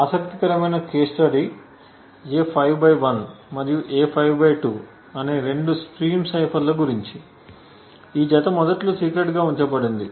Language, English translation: Telugu, An interesting case study is about the two stream ciphers A5/1 and A5/2 which pair initially kept secret